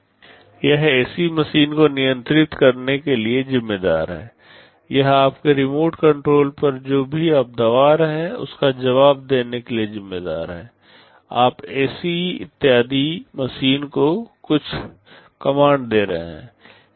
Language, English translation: Hindi, It is responsible for controlling the AC machine, it is responsible for responding to whatever you are pressing on your remote control, you are given giving some commands to the ac machine and so on